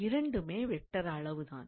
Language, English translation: Tamil, So, both of them are vector quantity